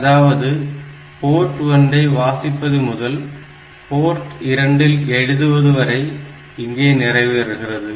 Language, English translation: Tamil, So, it will be just reading from the port 1 and writing on to port 2 done